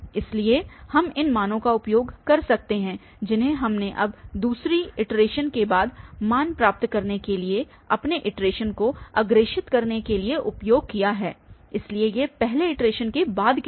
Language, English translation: Hindi, So, we can apply or we can apply or we can use these values which we have computed now to forward our iteration to get the values after second iteration so these are the values after first iteration